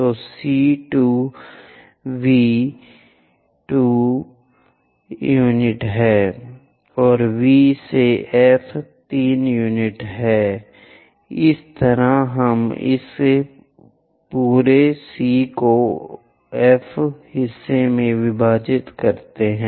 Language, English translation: Hindi, So, C to V is 2 units, and V to F is 3 units, in that way we divide this entire C to F part